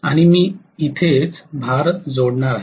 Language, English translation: Marathi, And, here is where I am going to connect the load